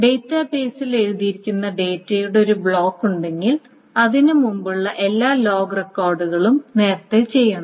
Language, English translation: Malayalam, And all the log records, so if there is a block of data that is written to the database, all the log records before to it must be done before